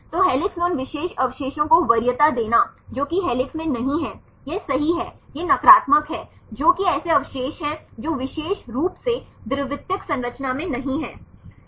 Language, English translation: Hindi, So, preference of that particular residue in helix over the same residues which is not in helix right this is the negation there is, which one is the residues which are not in the particular secondary structure